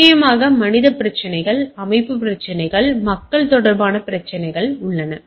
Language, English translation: Tamil, And of course, there are human issues organisation problems, people related issues those are there